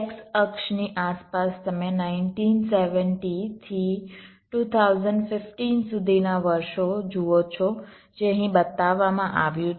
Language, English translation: Gujarati, around the x axis you see the years starting from nineteen seventy up to two thousand fifteen, which is shown here